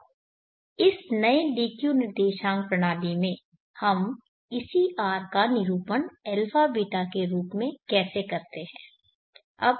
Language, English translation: Hindi, Now in this new DQ coordinate system how do we represent this same R in terms of the a beeta representation